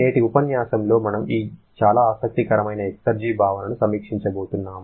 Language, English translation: Telugu, And in today's lecture we are going to review this very interesting concept of exergy